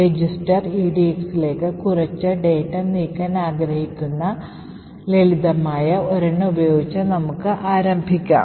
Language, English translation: Malayalam, So, let us start with the simple one where we want to move some data into the register edx